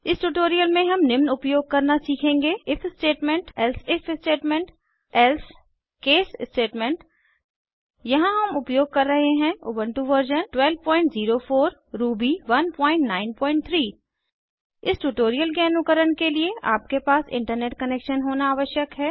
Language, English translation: Hindi, In this tutorial we will learn to use if statement elsif statement else case statements Here we are using Ubuntu version 12.04 Ruby 1.9.3 To follow this tutorial, you must have Internet Connection